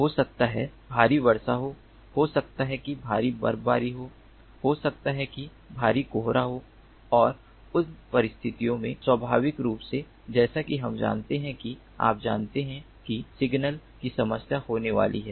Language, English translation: Hindi, maybe there is heavy rainfall, maybe there is heavy snowfall, maybe there is heavy fog and under those circumstances, naturally, as we know, there is, you know, signal problems that are going to happen